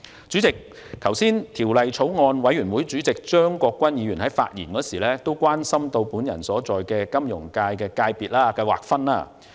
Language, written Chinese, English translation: Cantonese, 主席，張國鈞議員也是法案委員會委員，他剛才發言時表示關心我所屬的金融界別的劃分。, President Mr CHEUNG Kwok - kwan is also a member of the Bills Committee . When he spoke earlier he expressed concern about the Finance FC to which I belong